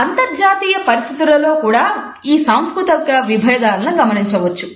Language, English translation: Telugu, These cultural differences are also exhibited in international situations